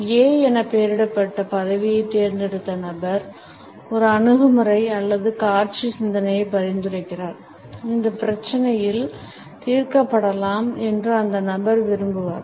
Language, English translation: Tamil, The person who has opted for the position named as A, suggest an attitude or visual thinking, the person would prefer that these problems can be washed away